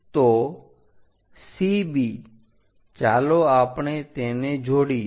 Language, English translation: Gujarati, So, CB let us join it so this point